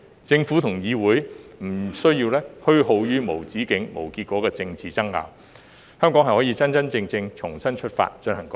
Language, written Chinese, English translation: Cantonese, 政府和議會不用虛耗於無止境、無結果的政治爭拗，香港可以真真正正重新出發，進行改革。, When the Government and the Council do not need to waste any time on endless and fruitless political bickering Hong Kong can genuinely start afresh and launch reforms